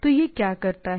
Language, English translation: Hindi, So, it provides the things